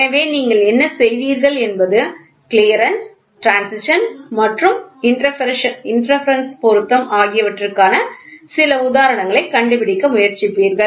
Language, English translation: Tamil, So, then what you will do is you will try to figure out some example for Clearance, Interference and Transition